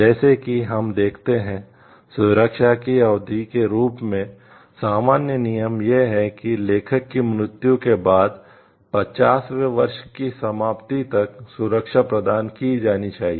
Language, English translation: Hindi, As we see, as the duration of the protection the general rule is that, the protection must be granted until the expiration of the 50th year after the authors death